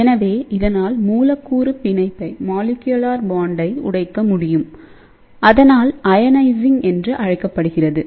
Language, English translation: Tamil, So, it can break the molecular bond and hence, it is known as ionizing